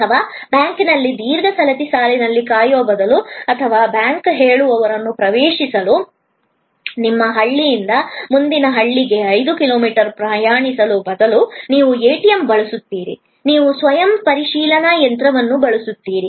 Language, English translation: Kannada, Or, instead of waiting at a long queue at a bank or instead of traveling five kilometers from your village to the next village for accessing the bank teller, you use an ATM, you use the self checking machine